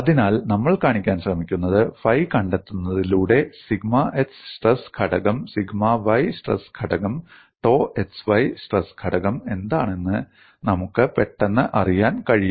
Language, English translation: Malayalam, So, what we would try to show is, by just finding out phi, we would immediately get to know what is the sigma x stress component, sigma y stress component, dou x stress components